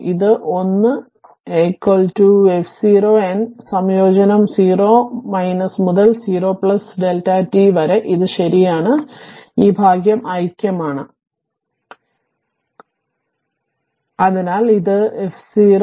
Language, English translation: Malayalam, This one is equal to your f 0 then integration 0 minus to 0 plus delta t d t right and this part is unity, so it is become f 0 right